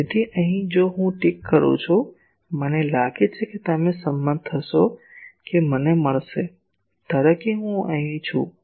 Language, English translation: Gujarati, So, here if I fix I think you will agree that I will get; suppose I am at this point I am here